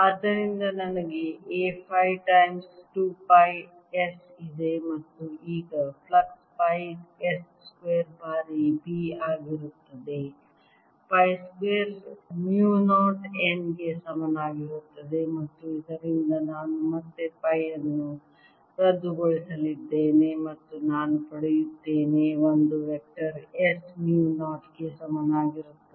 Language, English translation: Kannada, here i have distributed b giving rise to a, so i have a phi times two pi s and now the flux is going to be pi s square times b, which is equal to pi square mu naught n i, and from this again i am going to cancel pi and i get a vector is equal to s mu naught n i divided by two in the phi direction